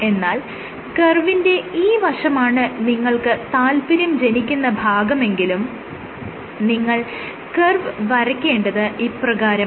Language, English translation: Malayalam, So, because you are only interested in this portion of the curve, the curve is plotted in the following way